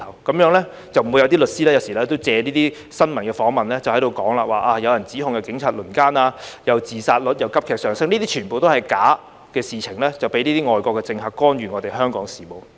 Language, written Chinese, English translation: Cantonese, 這樣就不會有律師借新聞訪問時說有人指控警察輪姦、自殺率急劇上升，這些全部都是假的，被外國政客藉以干預香港事務。, In this way false allegations like those made by a lawyer during a press interview about the gang rape by police officers and a sharp rise in the suicide rate will be gone . All these are false and are used by foreign politicians to interfere in Hong Kongs affairs